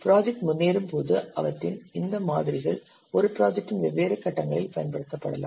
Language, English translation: Tamil, As the project progresses, these models can be applied at different stages of the same project